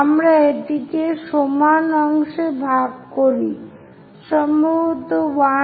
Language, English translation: Bengali, So, let us divide that into equal parts, perhaps 1, 2 3, 4